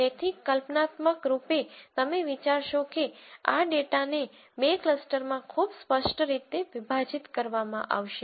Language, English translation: Gujarati, So, notionally you would think that there is a very clear separation of this data into two clusters